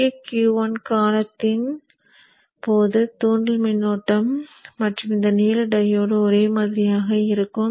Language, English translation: Tamil, So during the Q1 period, inductor current and this blue diode will be the same